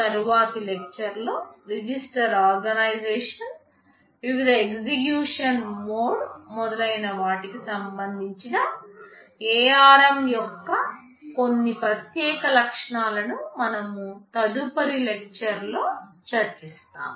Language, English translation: Telugu, In the next lecture, we shall be looking at some of the unique features of ARM with respect to register organization, the various execution modes and so on